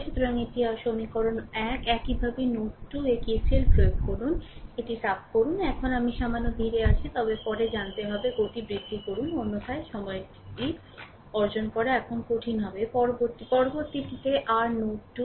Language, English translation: Bengali, So, this is your equation 1 right similarly you apply KCL at node 2 let me clear it, right now I am little bit slow, but later we have to you know increase just increase the speed otherwise it will difficult to acquire the time now next one is your node 2